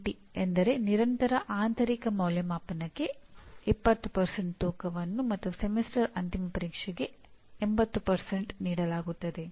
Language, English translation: Kannada, 20:80 means 20% weightage is given to Continuous Internal Evaluation and 80% to Semester End Examination